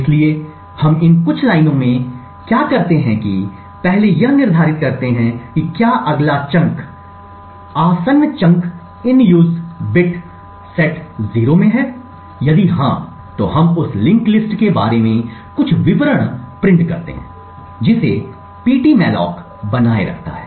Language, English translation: Hindi, So we do this check over here in these few lines, what we do is that we first determine if the next chunk that is present in the adjacent chunk that is present has its in use bit set to 0, if so then we print some details about the link list that ptmalloc maintains